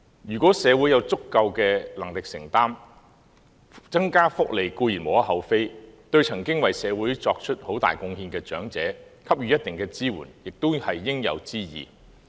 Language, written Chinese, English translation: Cantonese, 如果社會有足夠能力承擔，增加福利固然無可厚非，對曾經為社會作出很大貢獻的長者給予一定的支援，亦是應有之義。, If society can afford it the provision of additional welfare is certainly blameless and it is only right to provide some support to the elderly people who have made great contribution to society